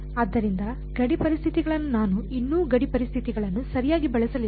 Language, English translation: Kannada, So, far is boundary conditions I have not yet use the boundary conditions right